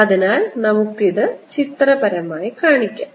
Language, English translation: Malayalam, so let's make this pictorially